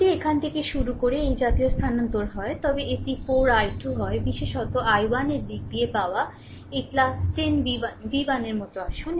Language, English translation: Bengali, If you move like these starting from here, so it is 4 i 2 right, you come like these plus 10 v 1 right v 1 especially got in terms of i 1